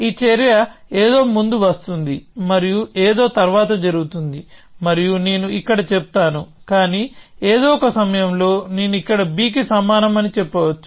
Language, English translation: Telugu, I might even say that this action comes before something and happens after something and so on and so forth which I will say here, but at some point I might say that x equal to b here